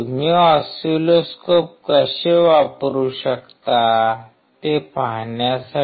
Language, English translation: Marathi, How you can use the oscilloscope to look at it